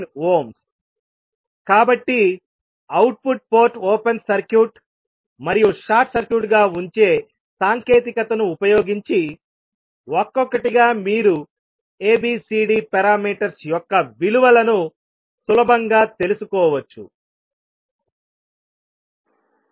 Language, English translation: Telugu, So using the technique of putting output port open circuit and short circuit one by one you can easily find out the values of ABCD parameter